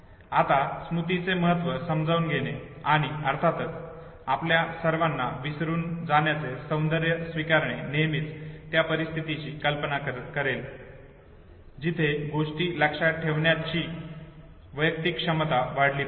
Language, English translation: Marathi, Now realizing the importance of memory and also of course accepting the beauty of forgetting all of us would always visualize of situation where the overall capacity of the individual to memorize things should multiply should increase